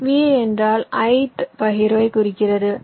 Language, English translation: Tamil, v i denotes the ith partition